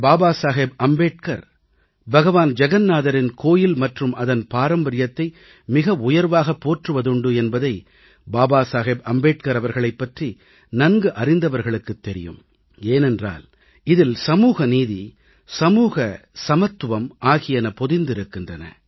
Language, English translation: Tamil, Baba Saheb Ambedkar, would have observed that he had wholeheartedly praised the Lord Jagannath temple and its traditions, since, social justice and social equality were inherent to these